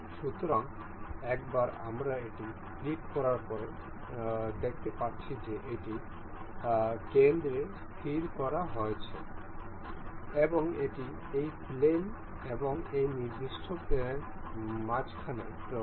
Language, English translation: Bengali, So, we can see this is fixed in the center and it is in the middle of this plane and this particular plane